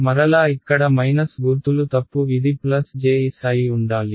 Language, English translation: Telugu, Again yeah the mistake here in the minus sign this should be plus J s ok